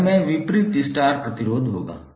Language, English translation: Hindi, Denominator would be opposite star resistor